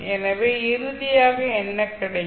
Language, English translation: Tamil, So finally what you will get